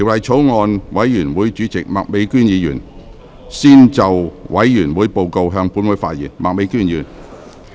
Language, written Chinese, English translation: Cantonese, 法案委員會主席麥美娟議員先就委員會報告，向本會發言。, Ms Alice MAK Chairman of the Bills Committee on the Bill will first address the Council on the Bills Committees report